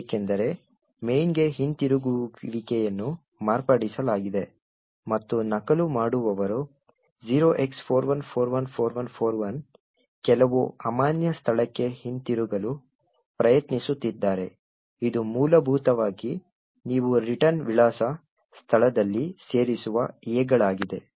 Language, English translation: Kannada, This is because the return to main has been modified and the copier is trying to return to some invalid argument at a location 0x41414141 which is essentially the A’s that you are inserted in the return address location and which has illegal instructions